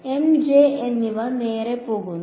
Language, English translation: Malayalam, M and J go away right